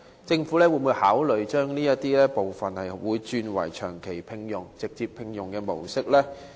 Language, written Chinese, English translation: Cantonese, 政府會否考慮將部分外判員工轉為長期聘用或直接聘用的僱員？, Will the Government consider converting the employment of some of the outsourced workers to permanent terms or recruiting them directly?